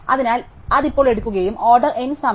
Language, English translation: Malayalam, So, that will now take order N time